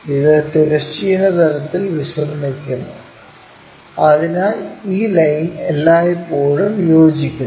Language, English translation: Malayalam, And it is resting on horizontal plane, so this line always coincides